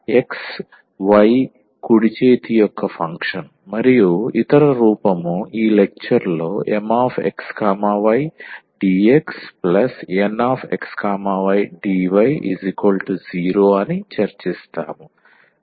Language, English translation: Telugu, So, the function of x y right hand side and the other form we will be discussing in this lecture that will be M x y dx plus N x y dy is equal to 0